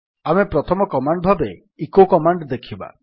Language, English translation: Odia, The first command that we will see is the echo command